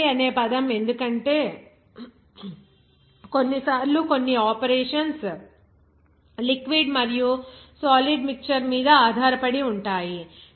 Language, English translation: Telugu, The term slurry because sometimes some operations will be based on that mixture of liquid and solid